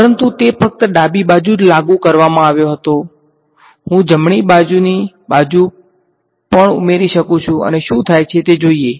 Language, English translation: Gujarati, But that was only applied to the left hand side; I can also substitute the right hand side and see what happens